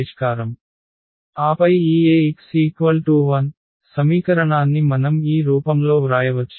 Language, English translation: Telugu, And then this Ax is equal to 0, this equation we can write down in this form